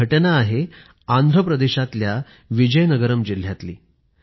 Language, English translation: Marathi, This happened in the Vizianagaram District of Andhra Pradesh